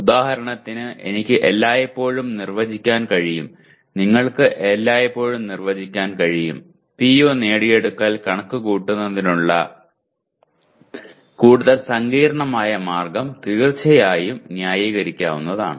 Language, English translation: Malayalam, For example I can always define you can always define more complex way of computing the PO attainment which is certainly can be justified